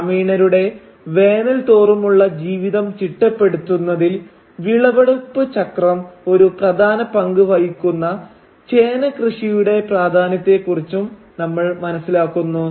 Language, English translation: Malayalam, We also come to know of the importance of the yam crop whose harvesting cycle plays an essential role in organising the annual life of the villagers